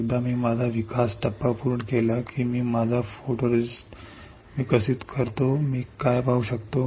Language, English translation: Marathi, Once I complete my development step that is I develop my photoresist what can I see